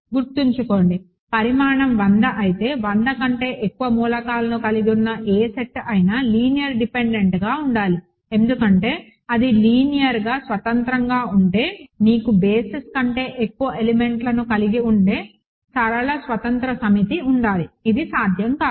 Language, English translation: Telugu, Remember, if dimension is hundred any set containing more than 100 elements has to be linearly dependent because if it is linearly independent you have a linearly independent set which has more elements than a basis which is not possible